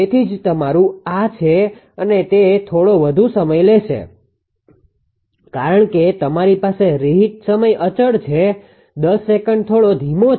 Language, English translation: Gujarati, So, that is why your ah this is and it will take slightly more time because you have reheat time constant; 10 second is there little bit slower